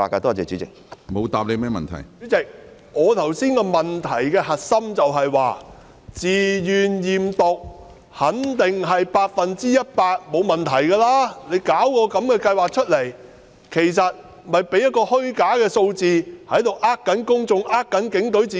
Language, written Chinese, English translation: Cantonese, 主席，我剛才的補充質詢的核心是，在自願驗毒計劃下，參與人員肯定百分之一百沒有問題，而警隊推行這項計劃，其實只是提供虛假的數字來欺騙公眾、欺騙警隊自己。, President the crux of the supplementary question I raised just now is that under the voluntary drug test scheme it will be certain that 100 % of the officers participating in the scheme will be tested negative . Hence the Police Force is introducing this scheme to provide misleading figures to deceive the public and itself